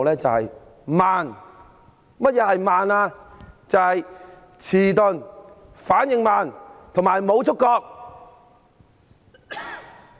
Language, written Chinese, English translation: Cantonese, 就是遲鈍、反應慢，以及無觸覺。, It means making belated slow responses and having no sensitivity